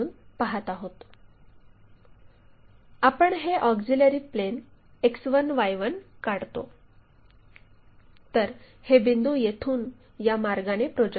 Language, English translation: Marathi, We draw this auxiliary plane X1Y1; project these point's information's from here all the way